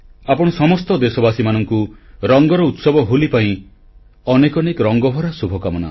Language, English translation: Odia, I wish a very joyous festival of Holi to all my countrymen, I further wish you colour laden felicitations